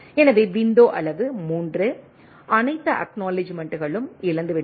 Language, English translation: Tamil, So, window size 3, all acknowledgement has lost